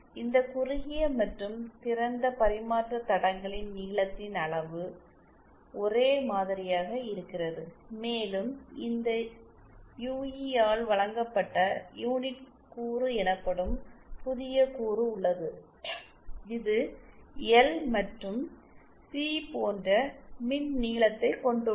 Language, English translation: Tamil, The size of the length of this shorted and open open transmission lines are same and we further have new element called unit element presented by this UE which has an electrical length same as this L and C